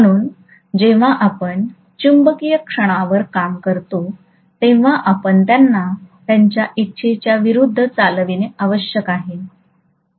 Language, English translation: Marathi, So when you do the work on the magnetic moment, you have to essentially move them against their will, right